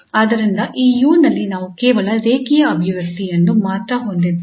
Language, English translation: Kannada, So then we have only the linear expression in this u